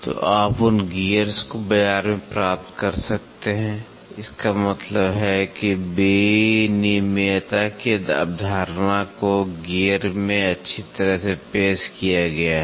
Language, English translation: Hindi, So, you can get those gears in the market so; that means, to say the concept of interchangeability is been well introduced in gears